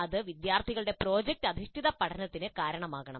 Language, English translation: Malayalam, And this should result in product based learning by the students